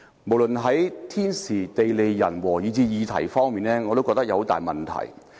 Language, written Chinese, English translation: Cantonese, 無論是時間、人物，以至議題上，我也覺得有很大問題。, I consider it very problematic with respect to timing the person concerned and its subject